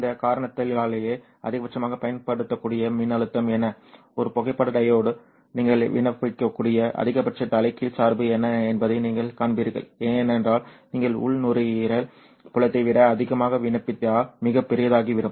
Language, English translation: Tamil, It is for this reason that you will also see what is the maximum usable voltage, what is the maximum reverse bias that you can apply to a photodiod because if you apply more then the internal electric field will become very large and it might lead to break down of the photodiod itself